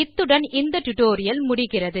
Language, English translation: Tamil, So This brings us to the end of this tutorial